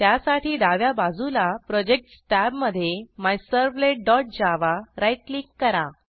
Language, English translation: Marathi, So on the left hand side, in the Projects tab right click on MyServlet dot java